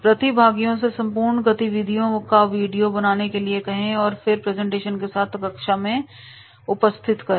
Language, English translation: Hindi, Ask participants to make a video of entire activity then present in class along with the PowerPoint presentation